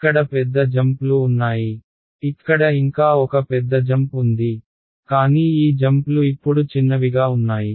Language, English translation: Telugu, Here there were big jumps over here now the jumps are there is still one big jump over here, but these jumps are now smaller